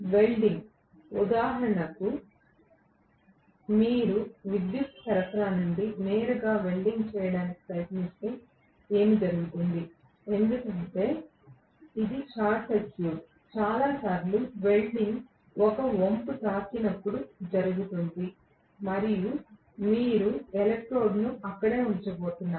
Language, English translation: Telugu, Welding, for example, if you try to weld directly from the power supply, what will happen is, because it is a short circuit, most the times welding happens when there is an arch struck and you are going to put the electrode right there